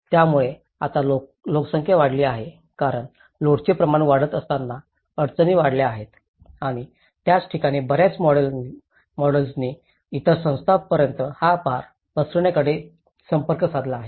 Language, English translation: Marathi, So now, as the population have increased as the constraints have increased as the load has increased and that is where many of the models have approached on spreading the load to the other sectors the other bodies